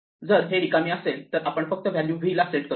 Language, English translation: Marathi, If it is empty, then we just set the value to v